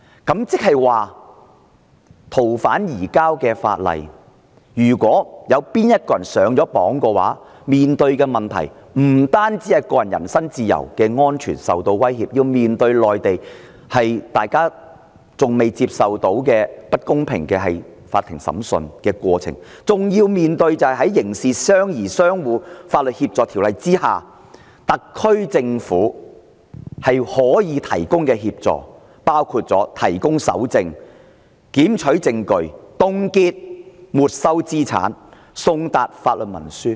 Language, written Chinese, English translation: Cantonese, 即是說，按《逃犯條例》進行移交的人，不單個人人身自由和安全受到威脅，亦要面對內地的法制中，大家仍未能接受的不公平法庭審訊過程，更要面對在《刑事事宜相互法律協助條例》下，特區政府可以提供的協助，包括提供搜證、檢取證據、凍結沒收資產、送達法律文書。, In other word the personal freedom and safety of the fugitive offender to be surrendered under FOO will be at risk; and the offender will be subject to unfair proceedings of the Mainland judicial system which are still unacceptable to us; furthermore the offender will also be subject to the impact of the assistance the SAR Government can render under MLAO including searchingseizing evidence freezingconfiscating property serving legal documents etc